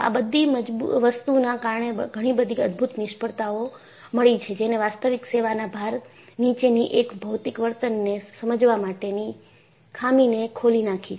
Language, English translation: Gujarati, So, they had spectacular failures, which opened up the lacuna, in understanding material behavior, under actual service loads